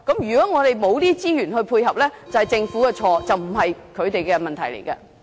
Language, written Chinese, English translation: Cantonese, 如果我們沒有資源配合，就是政府的錯，而不是他們的問題。, If we do not have any resource support the Government is to blame . The problem is not with deaf people themselves